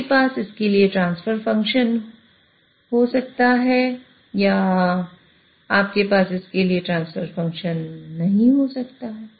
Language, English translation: Hindi, You may have the transfer function for it or you may not have transfer function for it